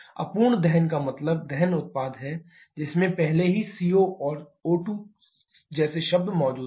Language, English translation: Hindi, Incomplete combustion means the combustion product you already having the terms like CO and O2 present